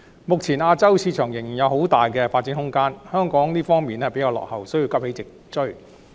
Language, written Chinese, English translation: Cantonese, 目前，亞洲市場仍然有很大的發展空間，但香港在這方面比較落後，需要急起直追。, While there is still considerable room for development in the Asian market at present Hong Kong is lagging behind in this regard and needs to rouse itself to catch up